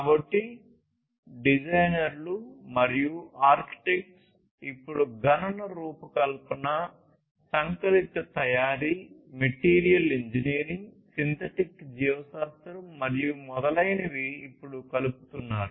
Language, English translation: Telugu, So, designers and architects are, now, combining, computational design, additive manufacturing, material engineering, synthetic biology and so on